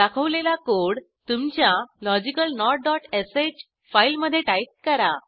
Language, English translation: Marathi, Now type the code as shown here in your logicalNOT dot sh file